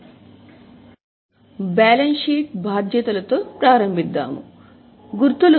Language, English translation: Telugu, So, we started with balance sheet liabilities, these were the markings